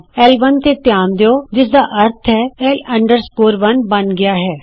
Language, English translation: Punjabi, Notice L1 here which means L 1 is created